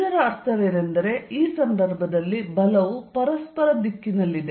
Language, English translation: Kannada, What that means is, in that case the force is going to be in this direction towards each other